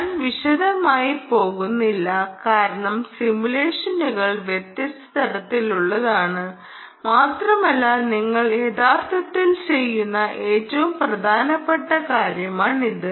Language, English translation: Malayalam, i will not go into detail because simulations are of different types and this is the most important thing you are actually doing: the circuit simulation